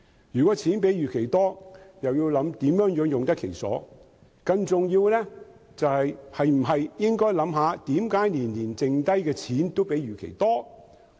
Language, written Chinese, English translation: Cantonese, 如果盈餘較預期多，便要考慮如何用得其所；更重要的是，政府是否應想想為何每年盈餘也較預期多？, Everything needs to be complemented by money . If the surplus is more than expected consideration should be given to how to utilize it properly . More important still should the government not think about why the surplus is more than expected every year?